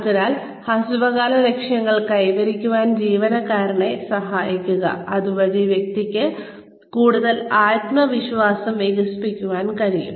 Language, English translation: Malayalam, So, help the employees, achieve short term goals, so that the person can develop, more confidence